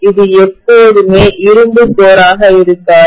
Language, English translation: Tamil, It will hardly ever be iron core